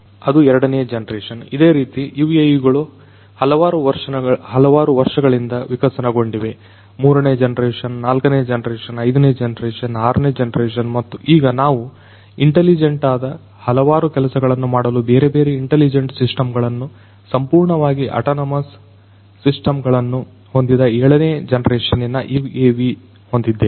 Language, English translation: Kannada, That was the second generation like this these UAVs have evolved over the years third generation, fourth generation, fifth generation, sixth generation and at present we have the seventh generation UAV which have intelligent, which have different intelligent systems fully autonomous systems in place for doing different things